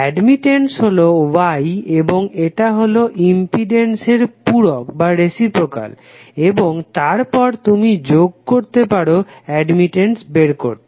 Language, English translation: Bengali, Admittance is nothing but Y and it is reciprocal of the impedance jet and then you can some up to find out the admittance